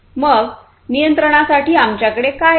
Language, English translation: Marathi, So, for monitoring we have what